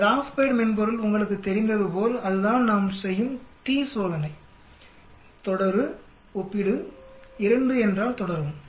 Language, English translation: Tamil, The GraphPad software as you know that is the t test we do continue compare 2 means continue